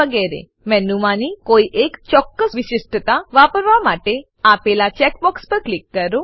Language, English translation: Gujarati, etc To use a particular feature on the menu, click on the check box provided